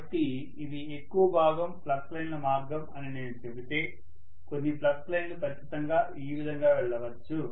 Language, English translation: Telugu, So if I say that these are majority of the flux lines path, some of the flux lines can definitely go through this, like this